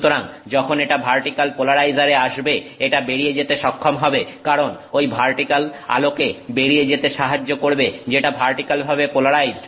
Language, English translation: Bengali, So, when it comes to the vertical polarizer it is able to go through because that vertical polarizer allows light to pass through which is vertically polarized